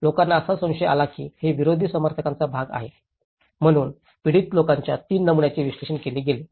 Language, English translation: Marathi, People have suspected that these has been part of the opposition supporters, so that is where 3 patterns of victims have been analyzed